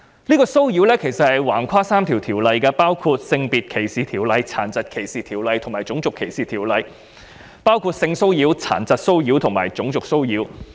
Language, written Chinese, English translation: Cantonese, 這種騷擾橫跨了3項條例，包括《性別歧視條例》、《殘疾歧視條例》及《種族歧視條例》，即性騷擾、殘疾騷擾及種族騷擾。, This kind of harassment straddles three ordinances namely the Sex Discrimination Ordinance SDO the Disability Discrimination Ordinance DDO and the Race Discrimination Ordinance RDO involving sexual disability and racial harassment